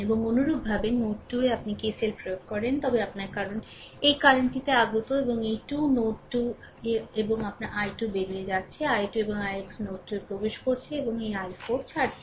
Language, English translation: Bengali, And similarly at node 2 if you apply KCL, then your because this current is incoming and these 2 are outgoing at and at node 2 your i 2; i 2 and i x entering into the node 2 and this i 4 is leaving